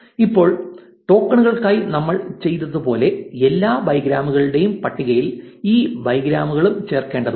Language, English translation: Malayalam, Now, as we did for tokens, we also need to append these bigrams to the all bigrams list